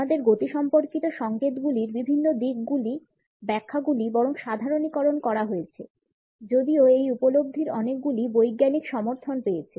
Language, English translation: Bengali, The interpretations of various aspects of our kinesics signals are rather generalized even though many of these perceptions have got a scientific backing down